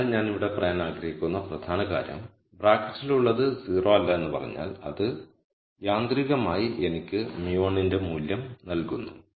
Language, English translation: Malayalam, So, the key point that I want to make here is if we say whatever is in the bracket is not 0, then that automatically gives me the value for mu 1